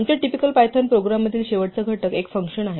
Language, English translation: Marathi, The last ingredient in our typical Python program is a function